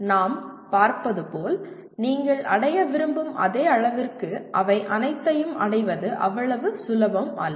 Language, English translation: Tamil, As we will see the, it may not be that very easy to attain all of them to the same degree that you want to attain